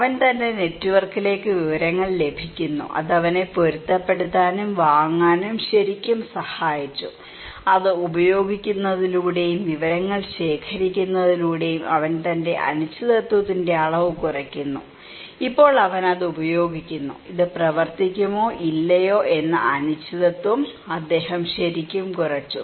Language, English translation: Malayalam, He is getting informations to his network that really helped him to adapt and buy this one so, he reduces his degree of uncertainty through using it, through collecting informations and now he is using it so, he really reduced uncertainty whether this will work or not, the social networks can help this way